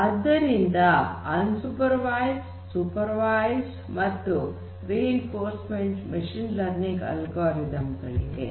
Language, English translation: Kannada, So, we have unsupervised, supervised and reinforcement learning machine learning algorithms